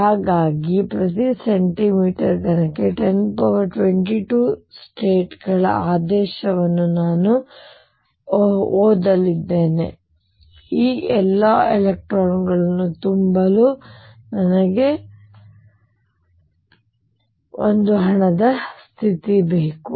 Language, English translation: Kannada, So, I read of the order of 10 raise to 22 states to fill per centimeter cubed I need that money state to fill all these electrons